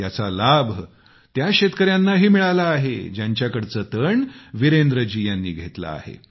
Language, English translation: Marathi, The benefit of thisalso accrues to the farmers of those fields from where Virendra ji sources his stubble